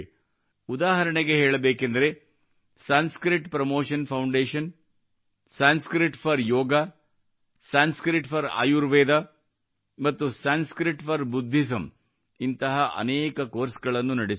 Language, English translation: Kannada, Such as Sanskrit Promotion foundation runs many courses like Sanskrit for Yog, Sanskrit for Ayurveda and Sanskrit for Buddhism